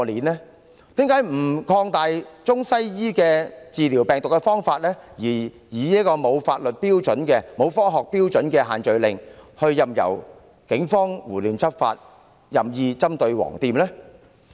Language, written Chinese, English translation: Cantonese, 為甚麼不擴大中、西醫治療病毒的方法，而以沒有科學標準的限聚令，任由警方胡亂執法，任意針對"黃店"呢？, Why not extend the use of Chinese and Western medicines in combating the virus but choose to impose the social gathering restrictions which are founded on no scientific basis and let the Police enforce the law indiscriminately and pick on yellow shops arbitrarily?